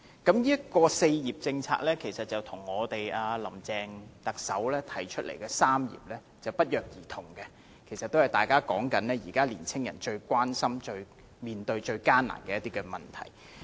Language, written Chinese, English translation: Cantonese, 這項"四業"政策與特首林鄭月娥提出的"三業"不約而同，大家都是說現時年青人一些最關心及面對最艱難的問題。, This four - faceted policy and the three concerns stated by Chief Executive Carrie LAM have coincidentally pointed to the problems which young people consider most pertinent and challenging to them nowadays